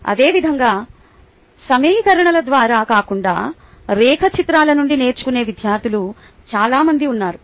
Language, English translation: Telugu, similarly, there are many students who learn from diagrams better than through equations